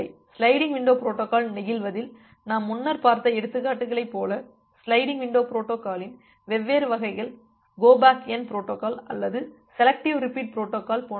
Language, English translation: Tamil, Like the examples that we have looked earlier in the case of sliding window protocols; different variants of sliding window protocols like the go back N protocol or the selective repeat protocol